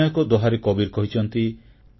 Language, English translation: Odia, In another doha, Kabir has written